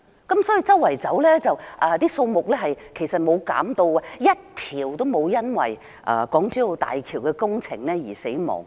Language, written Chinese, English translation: Cantonese, 他說它們周圍游動，數目沒有減少 ，1 條也沒有因為港珠澳大橋工程而死亡。, He said that they would swim everywhere that their number did not drop and that not even one dolphin had died because of the construction works of the Hong Kong - Zhuhai - Macao Bridge